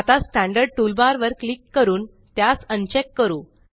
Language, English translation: Marathi, Let us now uncheck the Standard toolbar by clicking on it